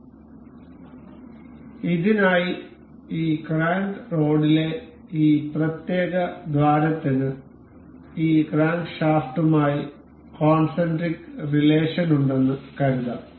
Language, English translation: Malayalam, So, for this, we can guess that this this particular hole in this crank rod is supposed to be supposed to have a concentric relation with this crankshaft